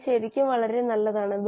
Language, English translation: Malayalam, They are really very nice